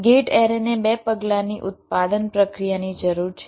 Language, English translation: Gujarati, gate array requires a two step manufacturing process